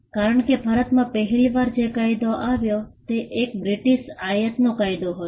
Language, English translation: Gujarati, Because the first act that came around in India was an act that was of a British import